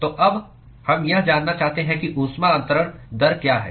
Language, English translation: Hindi, So now, we want to find out what is the heat transfer rate